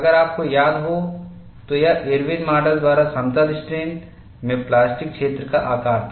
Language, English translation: Hindi, If you recall, this was the plastic zone size in plane strain by Irwin's model